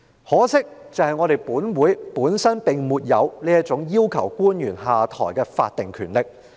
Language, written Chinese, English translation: Cantonese, 可惜，立法會本身並沒有這項要求官員下台的法定權力。, Regrettably the Legislative Council does not have the statutory power to ask officials to step down